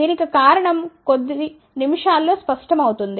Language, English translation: Telugu, The reason will be clear in a few minutes